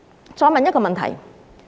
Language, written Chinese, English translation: Cantonese, 我再提出一個問題。, Let me raise another question